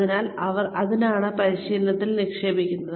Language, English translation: Malayalam, So, why do they invest in training